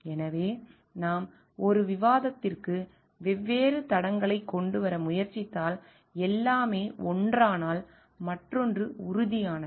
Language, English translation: Tamil, So, if we try to bring in different tracks to a discussion and everything may be one thing is concrete to the other